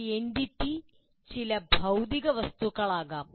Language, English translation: Malayalam, They can be objects, some physical object